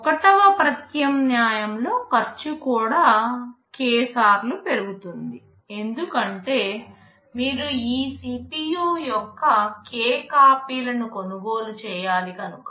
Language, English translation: Telugu, In alternative 1 the cost will also go up k time, because you have to buy k copies of this CPU